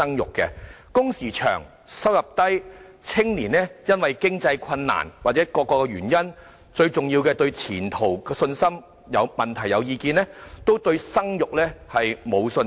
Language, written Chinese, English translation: Cantonese, 由於工時長、收入低，加上年青人面對經濟困難或各種原因，最重要的是對前途沒有信心，因而對生育沒有信心。, Young people have no confidence in raising children due to long working hours and low income coupled with the financial difficulties they face or various factors and most importantly dim prospects in their eyes